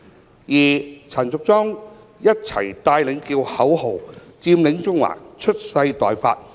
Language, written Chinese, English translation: Cantonese, 至於陳淑莊議員則一起帶領叫口號："佔領中環，蓄勢待發。, As regards Ms Tanya CHAN she also took the lead in chanting the slogans Occupy Central we are ready to make our moves